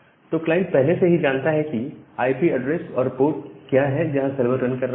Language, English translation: Hindi, So, the client already knows that what is the IP address where the server is running, and what is the port number where the server is running